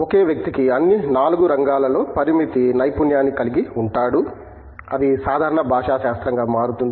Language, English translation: Telugu, One person can have limited expertise in all 4 of them, that becomes general linguistic